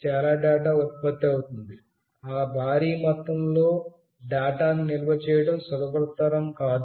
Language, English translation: Telugu, So much data gets generated, it is not very easy to store that huge amount of data